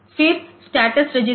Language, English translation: Hindi, Then the status register